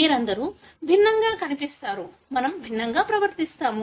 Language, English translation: Telugu, You all look different, we behave differently